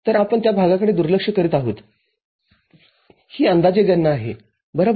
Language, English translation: Marathi, So, we are neglecting that part it is an approximate calculation right